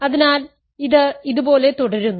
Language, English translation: Malayalam, So, it keeps on going like this